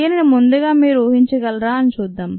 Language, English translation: Telugu, let us see whether you are able to guess this